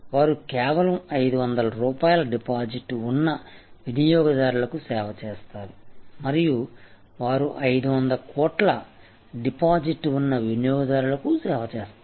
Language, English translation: Telugu, They serve a customer who has only 500 rupees deposit and they serve a customer who has 500 crores of deposit